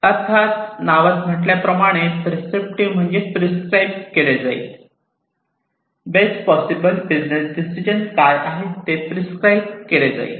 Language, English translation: Marathi, As this name suggests prescriptive means that it will prescribe, that what is the best possible business decision right